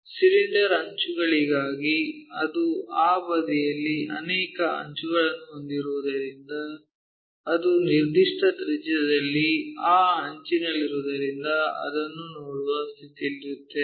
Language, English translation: Kannada, For cylinder the edges because it is having many edges on that side whatever the atmost which is at a given radius that edge we will be in a position to see that